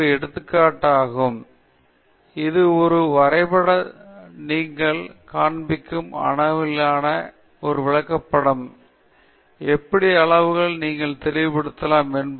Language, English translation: Tamil, So, this is a illustration, sort of a drawing which shows you at an atomic level how things are laid out and how you can relate to various quantities